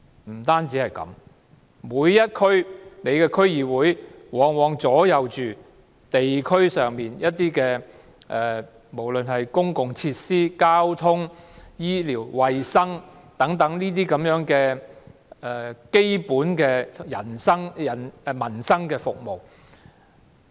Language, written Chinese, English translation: Cantonese, 不單如此，每一區的區議會往往左右着地區上的公共設施、交通、醫療、衞生等基本民生服務。, Apart from this very often a DC dictates the provision of public facilities including transport medical and health facilities and other basic services related to peoples livelihood